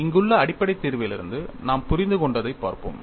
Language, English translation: Tamil, Let us see what all we understand from the basic solution here